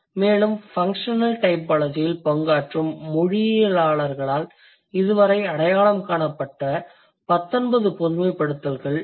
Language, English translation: Tamil, And these are the 19 generalizations that have been identified so far by linguists who are working on the functional typology